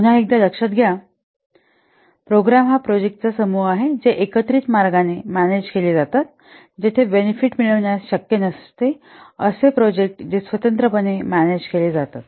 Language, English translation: Marathi, Let us recall again a program is a group of projects which are managed in a coordinated way, in a collaborative way to gain benefits that would not be possible if the projects would have been managed independently